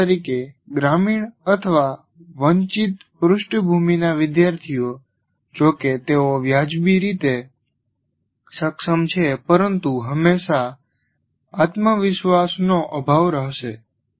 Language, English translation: Gujarati, For example, students from rural or disadvantaged backgrounds, though they are reasonably competent, will always have a question of lack of confidence